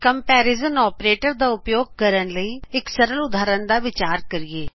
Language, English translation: Punjabi, Let us consider a simple example for using comparison operator